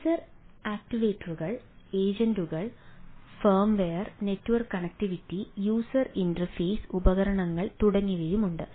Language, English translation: Malayalam, there are sense sensor actuators, agent form, a network connectivity, user interface devices and so and so forth